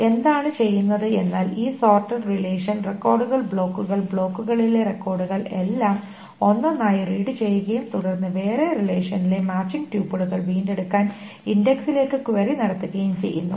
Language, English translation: Malayalam, So what is being done is that this sorted relation, the records, the blocks and the records in the blocks are read one by one and then query is made into the index to retrieve the matching tuples in the other relations